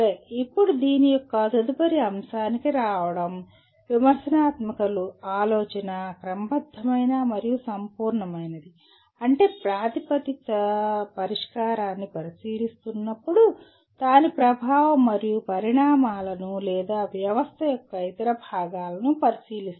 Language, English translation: Telugu, Now coming to the next aspect of this is critical thinking is systematic and holistic in the sense that while examining a proposed solution it examines its impact and consequences or other parts of the system